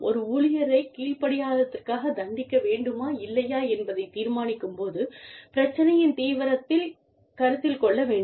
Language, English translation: Tamil, Seriousness of the issue, should be considered, when deciding, whether to punish an employee for insubordination, or not